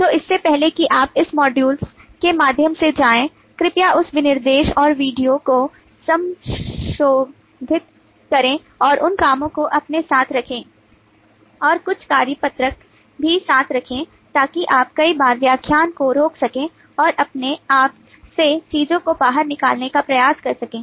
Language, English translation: Hindi, so before you go through this modules, please revise on that specification and the video and keep those handy with you and also keep some worksheet alongside so that you could at times pause the lecture and try to work out things by yourself